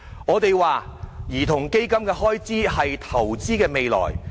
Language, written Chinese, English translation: Cantonese, 我們認為，兒童基金的開支是投資未來。, In our view to invest in a child fund is to invest in the future